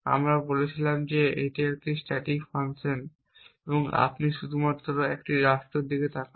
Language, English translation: Bengali, We had said that it is a static function you only look at a state and do a computation of a value